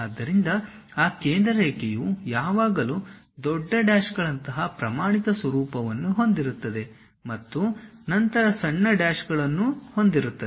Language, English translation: Kannada, So, that center line always be having a standard format like big dashes followed by small dashes